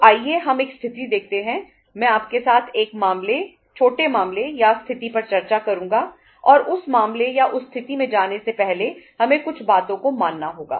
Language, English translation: Hindi, So let us see a situation I would discuss a case, small case or situation with you and before moving to that case or that situation we will have to assume certain things right